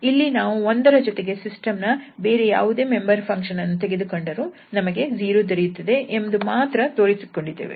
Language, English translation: Kannada, So, here we have only proved that with the 1 if we take any other member from the system it is 0